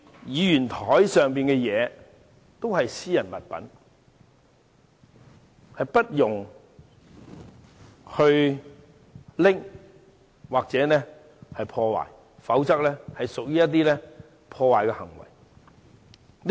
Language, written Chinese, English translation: Cantonese, 議員桌上的物品屬私人物品，其他人不可拿走或破壞，否則即屬違規。, Items on the desks of Members are personal belongings of Members and other people should not take away or damage those items as it contravenes the rules in doing so